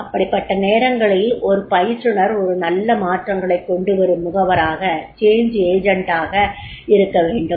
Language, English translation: Tamil, So, therefore in that case the trainer is required to be a good change agent